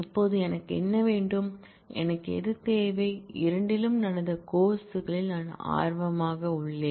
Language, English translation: Tamil, Now, what I want, I need that the; it I am interested in the courses that happened in both